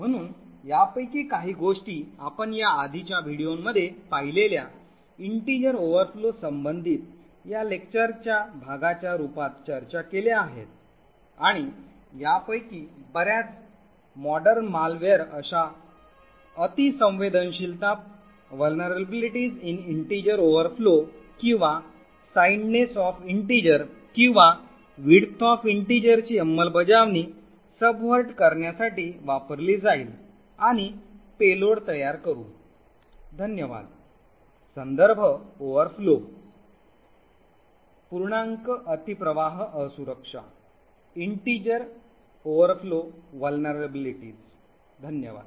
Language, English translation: Marathi, So some of these things we have actually discussed as part of this lecture corresponding to integer overflow which we have seen in the previous videos and many of these modern malware would use such vulnerabilities in integer overflow or signedness of integer or the width of integer to subvert execution and create payloads, thank you